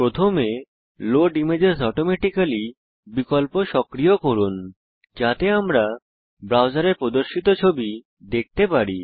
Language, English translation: Bengali, First, lets enable the Load images automatically option, so that we can view the images displayed in the browser